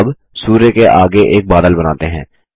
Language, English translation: Hindi, Now, let us draw a cloud next to the sun